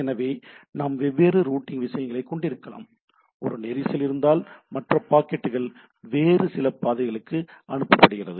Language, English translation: Tamil, So, I can we can have different routing things, so that if there is a congestion then the other packets are routed to some other part of things etcetera